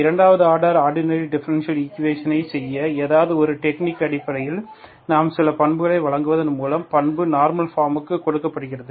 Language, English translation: Tamil, Then so based on something to do the second order ordinary differential equations, we have given certain properties, so the property is putting into the normal form